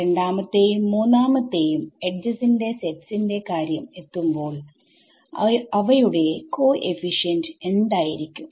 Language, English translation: Malayalam, So, when it comes to these two sets of edges 2 and 3 what kind of coefficients will they be